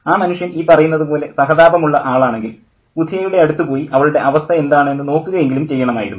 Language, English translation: Malayalam, But if that man was sympathetic enough, he should have at least went and looked into the condition of Budia